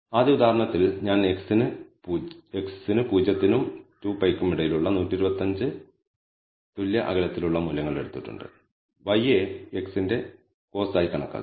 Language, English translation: Malayalam, In the first example I have taken 125 equally spaced values between 0 and 2 pi for x and I have actually computed y as cos of x